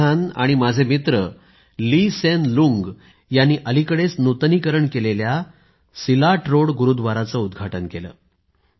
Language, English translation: Marathi, The Prime Minister of Singapore and my friend, Lee Hsien Loong inaugurated the recently renovated Silat Road Gurudwara